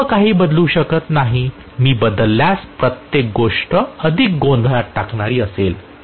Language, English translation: Marathi, I am not changing everything; everything if I change it will be more confusing